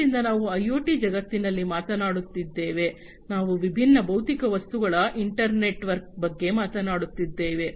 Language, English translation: Kannada, So, we have we are talking about in the IoT world, we are talking about an internetwork of different physical objects right so different physical objects